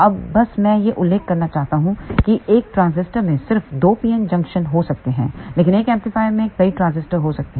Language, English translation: Hindi, Now, just I want to mention that a transistor may have just two pn junction, but an amplifier may have multiple transistors